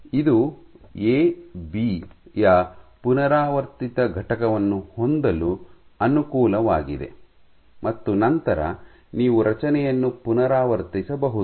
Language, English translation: Kannada, So, this is the advantage of having a repeating unit of A B and then you repeat the structure